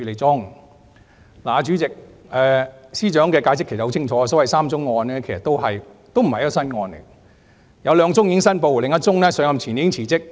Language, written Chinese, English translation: Cantonese, 主席，司長的解釋其實很清楚，所謂的3宗案件，其實也不是新案件，有兩宗已經申報，另一宗上任前已經辭職。, President the Secretary for Justices explanation is indeed very clear . The three cases as reported are not new cases . Among which two cases had been declared and she had resigned from another case before taking office